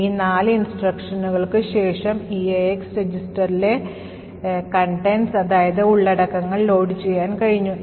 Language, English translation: Malayalam, So, after these four instructions we are finally been able to load the contents of the EAX register